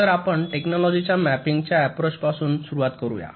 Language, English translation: Marathi, so let us start with the technology mapping approach